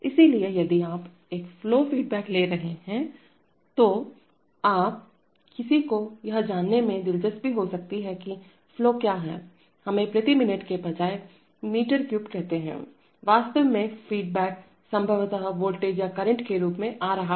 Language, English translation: Hindi, So if you are taking a flow feedback then you, somebody might be interested in knowing that what is the flow in, let us say meter cube per minute rather than, actually the feedback is coming as a possibly as a voltage or a current 0 to 5 volts or 4 to 20 milli amperes